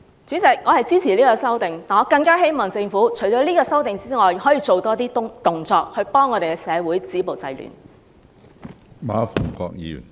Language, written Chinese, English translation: Cantonese, 主席，我支持《條例草案》，但我更希望政府除了這項修訂外，可以做多些動作，協助社會止暴制亂。, President I support the Bill but I all the more hope the Government can undertake more work in addition to such an amendment to help stop violence and curb disorder in society